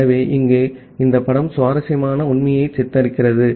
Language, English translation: Tamil, So, here this picture depicts the interesting fact that well